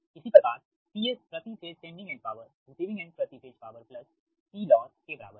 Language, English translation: Hindi, similarly, p s per phase sending end power is equal to receive per phase receiving power plus p loss